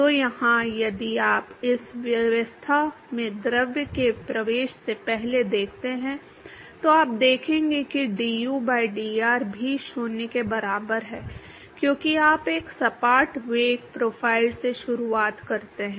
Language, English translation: Hindi, So, here, if you see before it the fluid enter in this regime you will see that du by dr is also equal to 0 because you start with a flat velocity profile